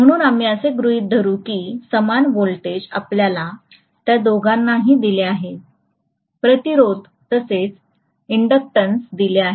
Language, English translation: Marathi, So we will assume that the same voltage is being applied to you know both of them, the resistance as well as the inductance